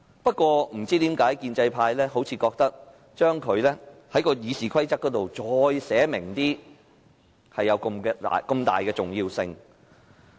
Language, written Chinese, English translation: Cantonese, 不過，不知為何建制派似乎覺得，將這些權力在《議事規則》更清楚寫明，是如此重要。, However I do not know why the pro - establishment camp seems to think that it is so important to clearly set out such power in RoP